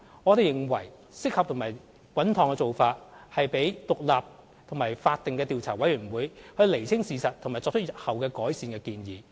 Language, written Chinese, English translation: Cantonese, 我們認為適合和穩妥的做法是讓獨立和法定的調查委員會釐清事實和作出日後改善的建議。, We consider the most appropriate and suitable approach is to let the independent Commission to ascertain the facts and make recommendations for future operations